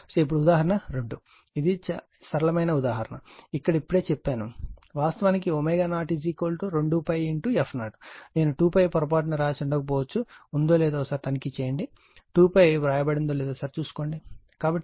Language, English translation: Telugu, Now, example 2 so, this is simple example right, only thing is that this your what you call here I told you just omega 0 is actually 2 pi into f 0, I might have missed 2 pi, just check the answer right whether it is 2 pi is taken care or not right, so it is 56